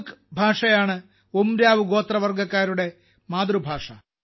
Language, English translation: Malayalam, Kudukh language is the mother tongue of the Oraon tribal community